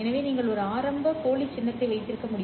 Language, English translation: Tamil, So you need to have an initial dummy symbol